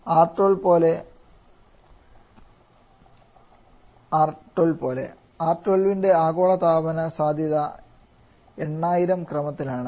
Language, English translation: Malayalam, Like R12 global warming potential of R12 that is of the order of 8000